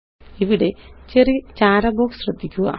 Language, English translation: Malayalam, Here, notice the small gray box